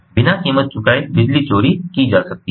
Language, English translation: Hindi, without paying any price, electricity can be stolen